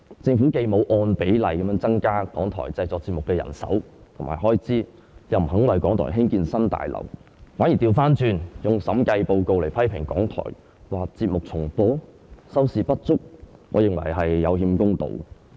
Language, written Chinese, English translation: Cantonese, 政府既沒有按比例增加港台製作節目的人手和開支，又不願意為港台興建新大樓，反而倒過來利用審計署署長報告來批評港台，指他們的節目重播、收視不足，我認為這是有欠公道。, The Government has not increased the manpower and expenditure in proportion to the production of RTHK nor is it willing to build a new broadcasting house for the broadcaster . Instead it made use of the Director of Audits Report to criticize RTHK for reruns of programmes and insufficient viewership . I think this is unfair